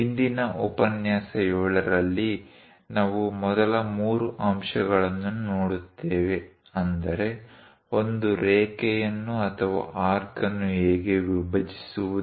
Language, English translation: Kannada, In today's lecture 7, the first three points like how to bisect a line or an arc